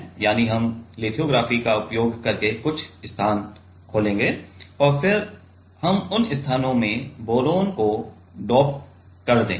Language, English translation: Hindi, That is we will open few spaces using lithography and then we will just doped boron into those spaces right